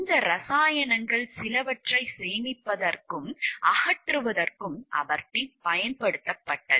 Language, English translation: Tamil, Aberdeen has also been used for the storage and disposal of some of these chemicals